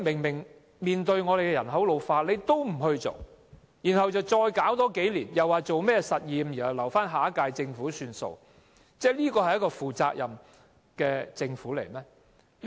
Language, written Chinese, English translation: Cantonese, 面對人口老化問題，政府還有多花數年時間進行試驗，更要留待下一屆政府處理，試問這是一個負責任的政府嗎？, In the face of an ageing population the Government still has to spend a few more years on trials and leaving the issue to be handled by the next - term Government . Does the current - term Government undertake responsibility?